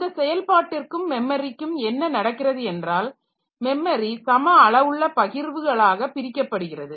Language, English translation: Tamil, So, what is done this process and this memory so they are divided into equal sized partitions